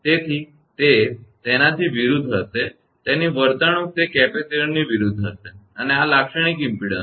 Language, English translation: Gujarati, So, it will just opposite it behavior will be just opposite to the capacitor right and this is the characteristic impedance